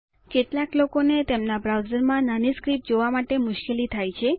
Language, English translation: Gujarati, Some people have trouble looking at small script in their browsers